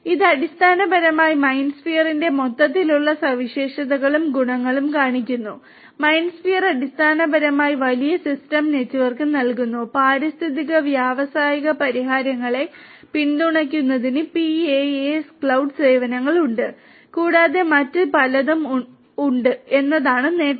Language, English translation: Malayalam, This is the overall you know this basically shows the overall features and the advantages of MindSphere; advantages are that MindSphere basically provides large system network, supports ecological industrial solutions has PaaS cloud services for offering and there are many others also